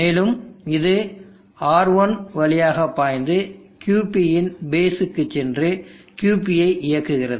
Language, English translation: Tamil, And it flows through R1 into the base of QP and terms on QP